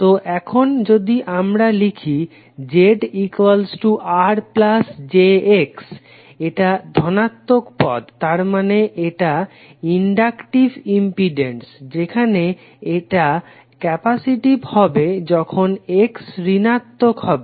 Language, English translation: Bengali, So here if you are writing Z is equal to R plus j X if this is the positive quantity, it means that the impedance is inductive while it would be capacitive when X is negative